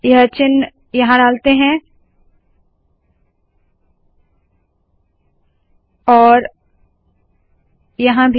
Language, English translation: Hindi, And then we will put it here also